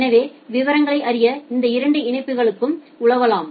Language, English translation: Tamil, So, you can browse through these two links to find out the details